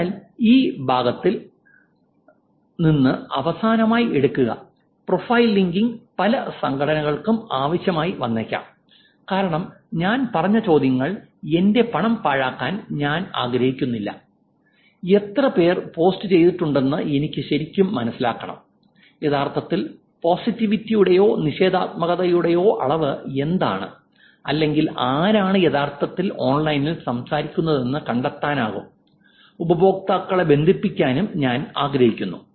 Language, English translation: Malayalam, So, here is the last takeaway from this part which is profile linking may be necessary for many organizations as the questions that we said, I don't want to waste my money, I want to actually understand whether how many people are posted, what is the volume of actually positivity or negativity or I want to find out who is actually speaking online and to link users